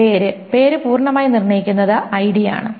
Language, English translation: Malayalam, Name, name is fully determined on by the ID